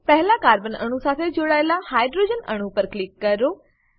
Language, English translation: Gujarati, Click on the hydrogen atom attached to the first carbon atom